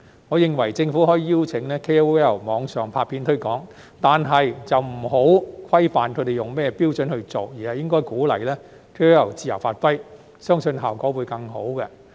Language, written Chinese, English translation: Cantonese, 我認為，政府可以邀請 KOL 網上拍片推廣，但不要規範他們以甚麼標準來做，而是應鼓勵 KOL 自由發揮，相信效果會更好。, I suggest that the Government should invite KOLs to produce online promotion videos . However instead of setting out a lot of rules and criteria the Government should give them a free hand for I believe this will be more effective